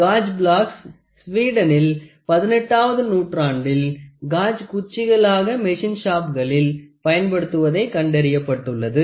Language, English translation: Tamil, The origin of gauge blocks can be traced to 18th century in Sweden where gauge sticks were found to be used in the machine shop